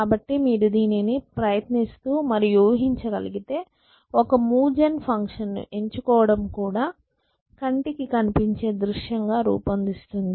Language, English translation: Telugu, So, if you can try imagine this that choosing move gen function is also devising the landscape